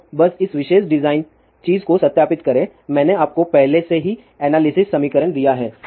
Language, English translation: Hindi, So, let just verify this particular design thing, I have given you already that analysis equation